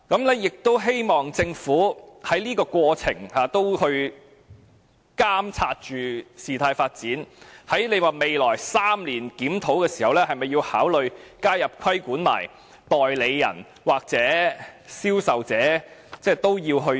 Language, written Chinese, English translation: Cantonese, 我亦希望政府在過程中也監察事態發展，在未來3年檢討時，會否考慮加入規管代理人或銷售者？, I also hope that the Government will monitor the developments and consider whether regulation of agents or salespersons should be included in the legislation in its review of the Ordinance to be conducted in three years